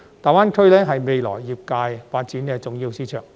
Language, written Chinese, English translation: Cantonese, 大灣區是未來業界發展的重要市場。, GBA is an important market for the industrys future development